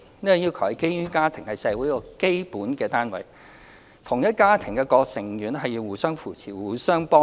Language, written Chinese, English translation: Cantonese, 這項要求是基於家庭是社會的基本單位，同一家庭的各個成員應互相扶持，互相幫助。, This requirement is founded on the concept that families constitute the core units of our community and members of the same family should render assistance and support to each other